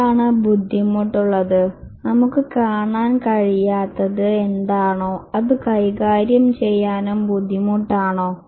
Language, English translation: Malayalam, What is difficult, what is we are unable to see is also difficult to manage